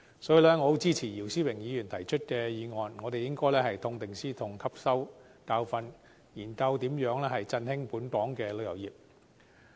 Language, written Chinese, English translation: Cantonese, 所以，我十分支持姚思榮議員提出的議案，我們應該痛定思痛，汲取教訓，研究如何振興本港旅遊業。, Therefore I strongly support Mr YIU Si - wings motion; we should draw lessons from our bitter experience and consider how our tourism industry can be revitalized